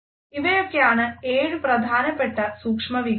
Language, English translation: Malayalam, So, those are the seven major micro